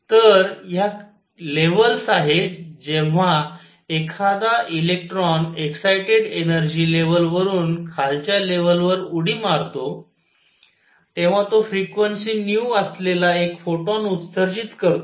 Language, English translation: Marathi, So, these are the levels when an electron jumps from an excited energy level to lower one, it emits 1 photon of frequency nu